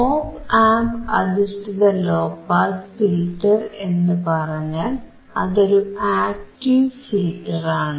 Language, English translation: Malayalam, Op Amp based low pass filter means it is an active filter